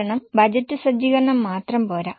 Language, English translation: Malayalam, But budgeting doesn't stop there